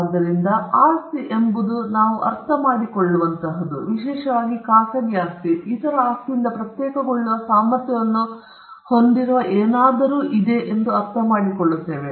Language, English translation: Kannada, So, property is something that we understand as especially private property we understand it as something that can be differentiated from other’s property and something which is capable of being distinguished from other’s property